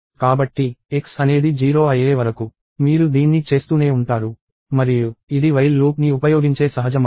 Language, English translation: Telugu, So, you will keep doing this till x becomes 0; and this is a natural way of using a while loop